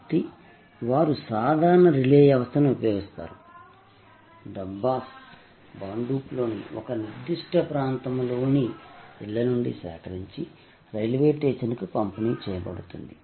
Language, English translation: Telugu, So, they use a simple relay system, the Dabbas are picked up from homes in a particular areas of Bhandup and delivered to the railway station